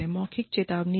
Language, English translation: Hindi, Give a verbal warning